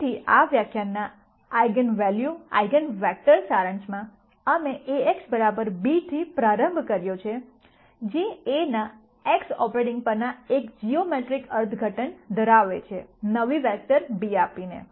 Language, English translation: Gujarati, So, in summary for the eigenvalue eigenvector portion of this lecture, we started with A x equal to b which has a geometric interpretation of A operating on x giving a new vector b